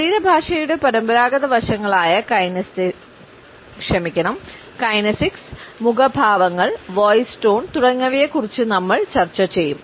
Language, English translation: Malayalam, We will look at the conventional aspects of body language be it the kinesics or our expressions through our face, the voice quotes etcetera